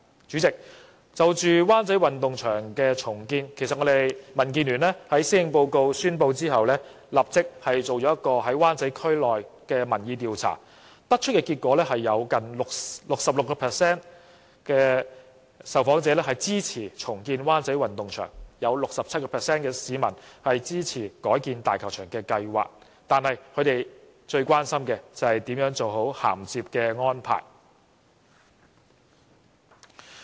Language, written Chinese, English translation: Cantonese, 主席，就灣仔運動場的重建計劃，民建聯在施政報告發表後立即在灣仔區進行了民意調查，得出的結果是有近 66% 受訪者支持重建灣仔運動場，亦有 67% 市民支持改建大球場，但他們最關心的就是怎樣做好銜接安排。, President immediately after the Policy Address was announced DAB conducted a public opinion survey in Wan Chai District . Nearly 66 % of the respondents support the redevelopment of WCSG and 67 % of the people support the redevelopment of Hong Kong Stadium . But the one thing they are most concerned about is the transitional arrangements